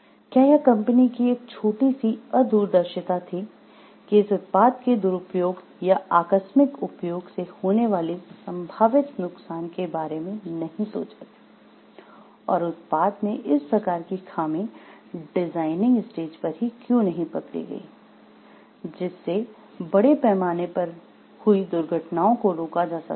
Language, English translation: Hindi, Whether it was a short sightedness of the company to not to think of the possible harms that could be there from the maybe misuse or accidental use of this product, and how the design itself at the design stage can arrest for these type of happenings so that accidents can be prevented at large